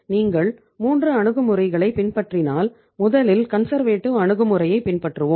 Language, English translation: Tamil, If you follow the 3 approaches let us follow first of all the conservative approach